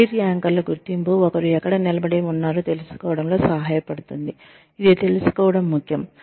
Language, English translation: Telugu, The identification of career anchors helps with, it is important to know, where one stands